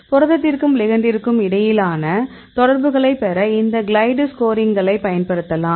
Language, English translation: Tamil, So, we get these glide score to get the interaction between protein and the ligand